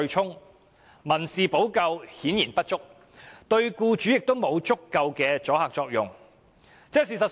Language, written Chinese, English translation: Cantonese, 由此可見，民事補救顯然不足，對僱主亦無足夠阻嚇作用。, From this we can see that the civil remedy is clearly inadequate and has no sufficient deterrent effect on employers